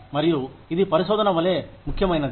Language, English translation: Telugu, And, that is just, as important as, research